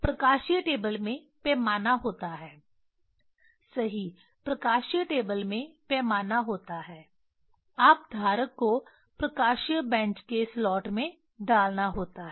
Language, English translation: Hindi, Optical table have scale right optical table have scale, you are putting the holders in the slot of the optical bench